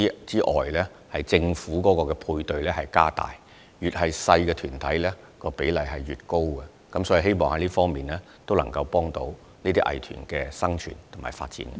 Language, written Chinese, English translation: Cantonese, 此外，政府會加大對他們的配對資助，規模越小的藝團比例越高，藉此促進這些藝團的生存和發展。, Furthermore the Government will increase their matching grants . Arts groups of smaller scale will be assigned a proportionally higher matching ratio so as to facilitate their survival and development